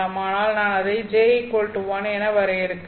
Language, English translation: Tamil, But then I am defining that as J equal to 1